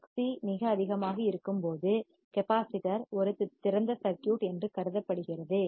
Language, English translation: Tamil, When Xc is very high, capacitor is considered as an open circuit